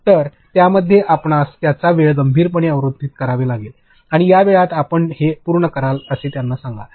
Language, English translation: Marathi, So, in that you have to seriously block their time and, tell them in this much time you complete this